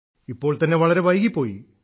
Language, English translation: Malayalam, It is already late